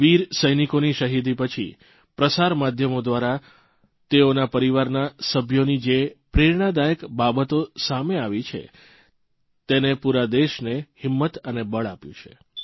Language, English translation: Gujarati, The martyrdom of these brave soldiers brought to the fore, through the media, touching, inspiring stories of their kin, whichgive hope and strength to the entire country